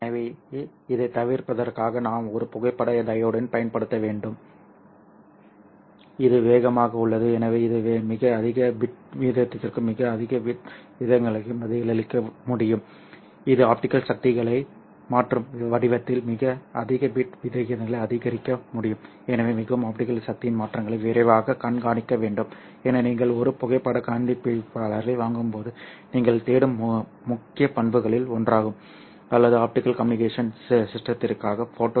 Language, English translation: Tamil, So can respond to very high bitrate of and very high bit rates it can support very high bit rates in the form of changing optical powers right so very quickly it has to track the changes in the optical power so that's one of the major characteristics that you are looking for when you are buying a photo detector or you are designing a photo detector circuit for optical communication system